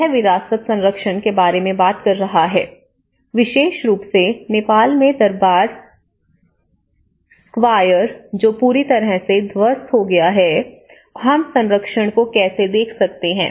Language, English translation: Hindi, This is talking about Heritage conservation, especially in Nepal the Durbar Square which has been demolished completely, how we can look at the conservation